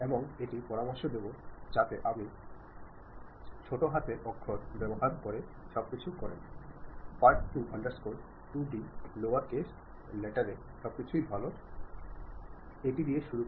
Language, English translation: Bengali, And it would be recommended if you go with everything in lower case letters, part2 underscore 2d everything in lower case letter is a good choice to begin with